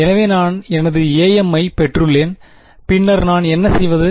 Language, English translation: Tamil, So, I have got my a m and then what do I do